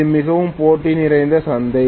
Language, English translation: Tamil, It is a very competitive market